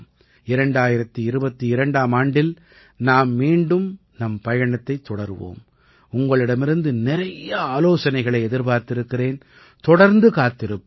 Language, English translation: Tamil, We will start the journey again in 2022 and yes, I keep expecting a lot of suggestions from you and will keep doing so